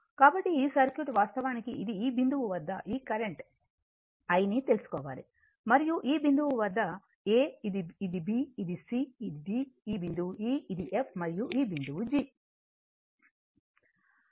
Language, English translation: Telugu, So, this circuit actually it isit is your this this pointyou have to find out this is the current I and this point is a, this is b, this is c, this is d, this point is e, this is f and this point is g right